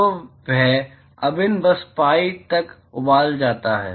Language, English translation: Hindi, So, that integral simply boils down to pi